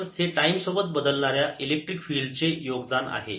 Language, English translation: Marathi, so this is the contribution due to time, varying electric field